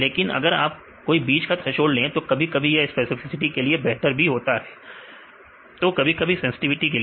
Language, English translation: Hindi, But if you make the intermediate thresholds; sometimes it is better in the specificity or sometimes if it is in the sensitivity